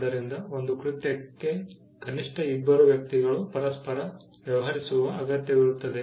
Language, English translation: Kannada, So, an act requires at least two people to deal with each other